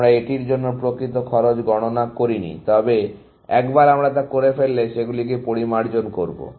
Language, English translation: Bengali, We have not computed the actual cost for this, but once we do that, we will refine them